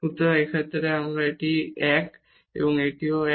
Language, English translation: Bengali, So, in this case again this is 1 and this is also 1